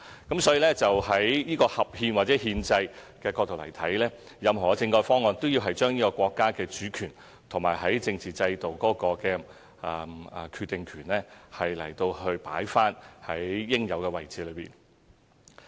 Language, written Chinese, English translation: Cantonese, 因此，在合憲或憲制的角度而言，任何政改方案都要將國家主權和政治制度的決定權放在應有位置。, As a result to be constitutional or from the perspective of the Constitution of PRC any proposal on our constitutional reform must respect national sovereignty and its power to determine our political system